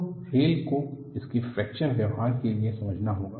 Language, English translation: Hindi, So, the rails have to be understood for its fracture behavior